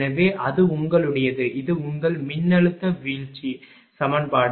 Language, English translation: Tamil, So, that is your; this is your voltage drop equation